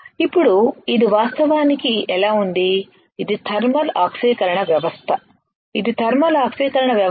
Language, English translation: Telugu, Now this is how it actually looks like, this is the thermal oxidation system this is the thermal oxidation system